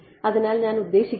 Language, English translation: Malayalam, So, I mean